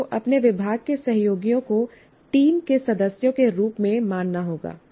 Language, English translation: Hindi, And you have to treat your department colleagues as members of a team